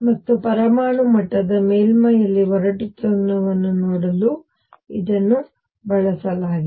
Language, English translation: Kannada, And this has been used to see the roughness in the surface of the atomic level